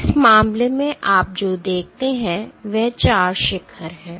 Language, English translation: Hindi, In this case, what you see is there are 4 peaks